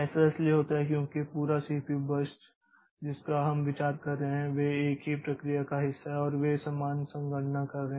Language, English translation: Hindi, This happens because the pro this whole the CPU bursts that we are considering so they are part of the same process and they are doing similar computations